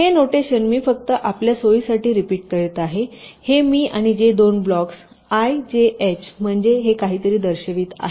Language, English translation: Marathi, so this notation i am just repeating for your convenience: this i and j indicate two blocks